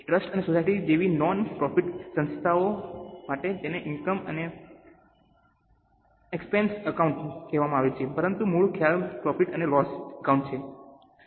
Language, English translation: Gujarati, For non profit organizations like trust and societies it is called as income and expenditure account